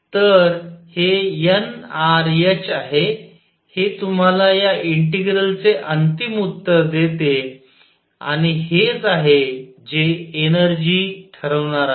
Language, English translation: Marathi, So, this is n r h this giving you the final answer for the integral and this is what is going to determine the energy